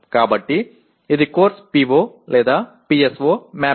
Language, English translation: Telugu, So this is course PO/PSO mapping